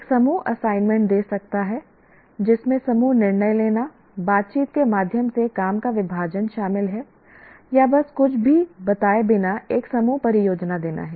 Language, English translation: Hindi, One can give group assignments that involve group decision making, division of work through negotiation, that is one, or just simply give a group project without stating anything